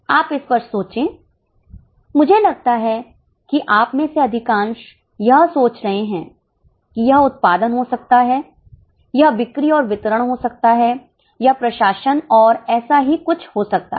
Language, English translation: Hindi, I think most of you are getting it can be production, it can be selling and distribution, it can be administration and so on